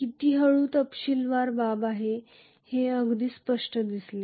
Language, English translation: Marathi, How slowly is a matter of detail very clearly